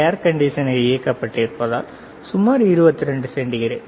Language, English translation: Tamil, Because the air conditioner is on; so, is around 22 degree centigrade all right